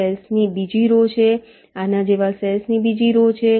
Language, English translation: Gujarati, there is another row of cells, there is another row of cells like this